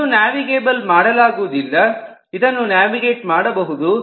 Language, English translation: Kannada, this is not navigable, this can be navigated